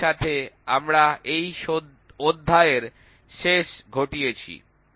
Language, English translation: Bengali, With this we come to an end for this chapter